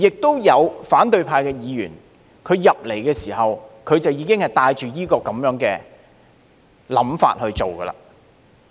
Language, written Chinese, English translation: Cantonese, 也有反對派議員進入議會時，已經帶着這種想法去做。, Certain opposition Members already had such intentions when they joined the legislature